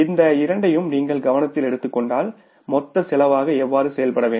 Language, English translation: Tamil, If you take these two into consideration, how much it works out as total cost